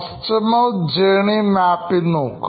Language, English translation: Malayalam, You can see the customer journey map